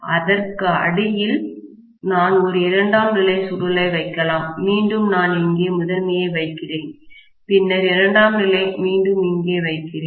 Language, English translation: Tamil, Then I may put a secondary coil right beneath that, again I will put the primary here, then I will put the secondary once again here